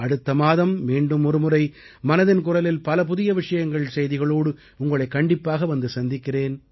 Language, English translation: Tamil, We will meet in another episode of 'Mann Ki Baat' next month with many new topics